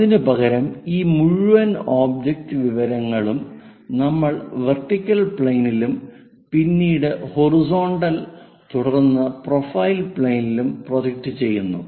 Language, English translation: Malayalam, Instead of that we project this entire object information on to vertical plane, on to horizontal plane, on to profile plane